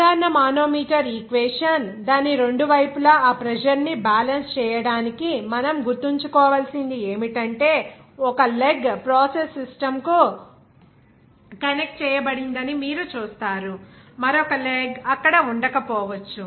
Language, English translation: Telugu, General manometer equation if we consider that what we have to remember for the balancing of that pressure on its both sides, you will see that one leg will be connected to the process system, another leg may not be there